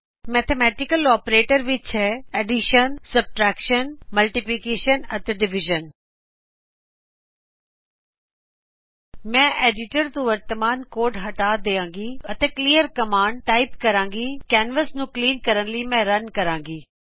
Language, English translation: Punjabi, Mathematical operators include, + * and / I will clear the current code from editor and type clear command and RUN to clean the canvas I already have a program in a text editor